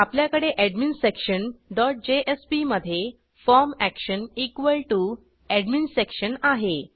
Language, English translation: Marathi, We can see that in adminsection dot jsp we have the form action equal to AdminSection